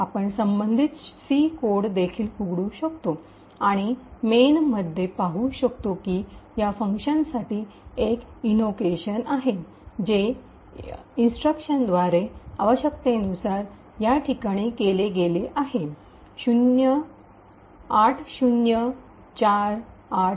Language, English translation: Marathi, It is here which is the main function and we could also open the corresponding C code and C that in main there is an invocation to this function, which is essentially done by this particular instruction, in this location 80483ED